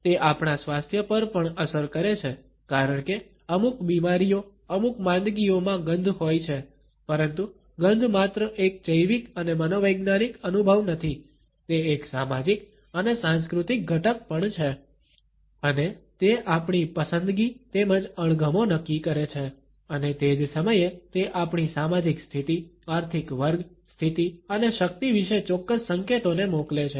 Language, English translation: Gujarati, It is also influenced by our health because certain illnesses because certain ailments have an odor, but a smell is not just a biological and psychological experience, it is also a social and cultural phenomena and it determines our preference as well as aversions and at the same time it passes on definite clues about our social positions, economic class, status and power